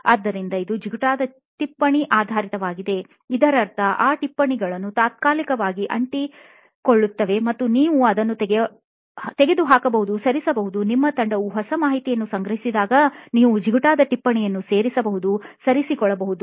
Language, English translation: Kannada, So, it is sticky note based, meaning those notes that stick temporarily and you can remove, move it around so that as in when new information your team figures out, you can actually add a sticky note, move things around as your understanding becomes better